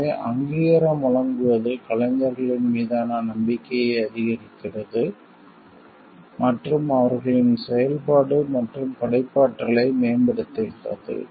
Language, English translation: Tamil, So, giving recognition boosts of the confidence with the artists and enhances their activity and a creative point